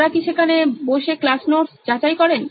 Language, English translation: Bengali, Do they sit and verify class notes